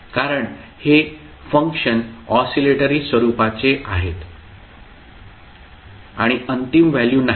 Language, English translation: Marathi, Because these functions are oscillatory in nature and does not have the final values